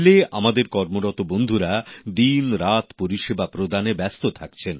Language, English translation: Bengali, Our railway personnel are at it day and night